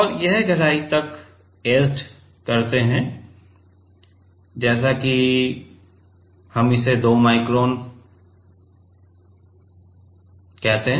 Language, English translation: Hindi, And this is the etched depth which is let us say, we call it 2 micron